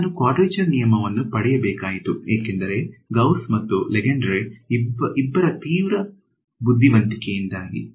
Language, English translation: Kannada, So, I have got a quadrature rule because, of the extreme cleverness of both Gauss and Lengedre the name of Gauss Lengedre goes after them